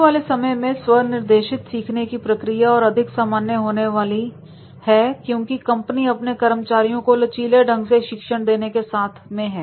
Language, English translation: Hindi, Self directed learning is likely to become more common in the future as companies seek to train stop flexibly